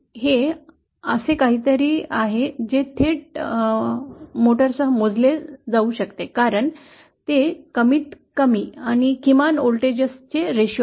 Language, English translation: Marathi, It is something that can be directly measured with a motor because it is the ratio of the maximum to the minimum voltages